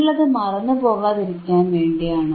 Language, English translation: Malayalam, So, that you guys do not forget, right